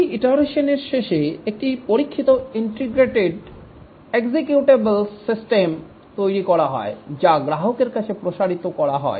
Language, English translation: Bengali, At the end of each iteration, a tested, integrated, executable system is developed deployed at the customer site